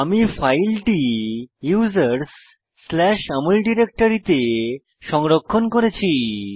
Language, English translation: Bengali, I had saved the file in users\Amol directory on my system